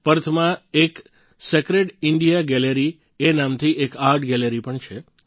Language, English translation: Gujarati, In Perth, there is an art gallery called Sacred India Gallery